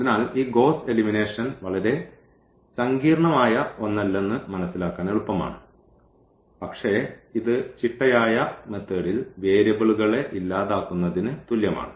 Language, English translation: Malayalam, So, it is easy to understand that this Gauss elimination is nothing very very complicated, but it is like eliminating the variables in a systematic fashion